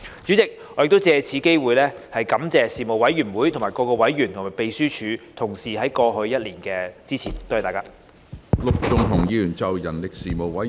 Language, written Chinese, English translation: Cantonese, 主席，我亦藉此機會感謝事務委員會各委員和秘書處同事在過去一年的支持，多謝大家。, President I would also like to take this opportunity to thank members of the Panel and colleagues of the Secretariat for their support over the past year . Thank you